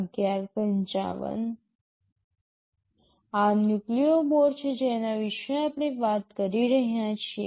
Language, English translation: Gujarati, This is the Nucleo board which we are talking about